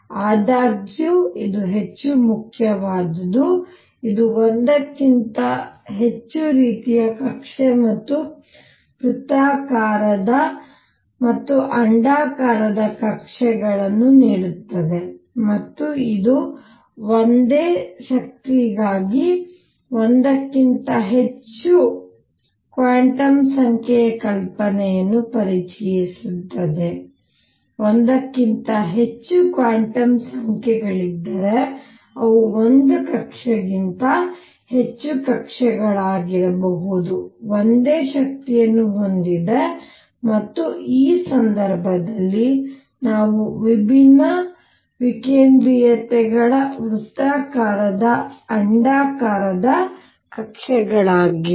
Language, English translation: Kannada, More important however, is it gives more than one kind of orbit and circular as well as elliptic orbits and it introduces the idea of more than one quantum number for the same energy more than one quantum number means they could be more orbits than one orbit which has the same energy and in this case they happened to be circular elliptic orbits of different eccentricities